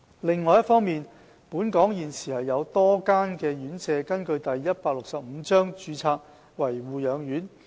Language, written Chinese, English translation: Cantonese, 另一方面，本港現時有多家院舍根據第165章註冊為護養院。, Besides there are a number of institutions registered as nursing homes under Cap . 165